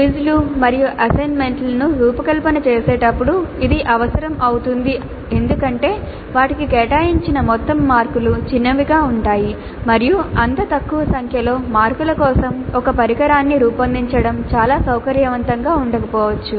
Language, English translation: Telugu, This becomes necessary when designing quizzes and assignments because the total marks allocated to them would be small and designing an instrument for such a small number of marks may not be very convenient